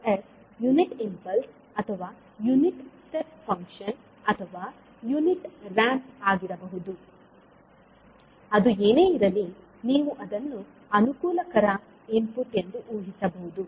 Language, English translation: Kannada, So, this access can be either unit impulse or maybe unit step function, unit ramp, whatever it is, you can assume it convenient input